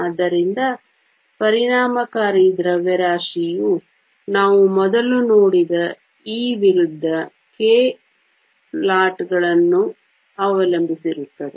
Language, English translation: Kannada, So, the effective mass depends upon the E versus K plots that we saw earlier